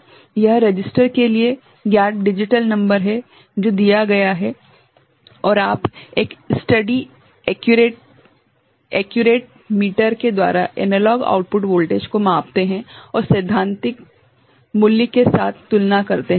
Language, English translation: Hindi, It is known digital number to the register, that is given and you measure the analog output voltage with a steady accurate metre and compare with the theoretical value ok